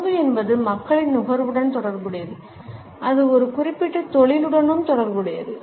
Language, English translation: Tamil, Food as a commodity is related to the consumption by people as well as it is associated with a particular industry